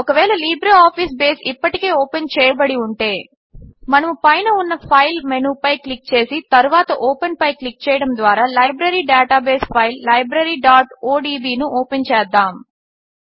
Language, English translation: Telugu, If LibreOffice Base is already open, Then we can open the Library database file Library.odb by clicking on the File menu on the top and then clicking on Open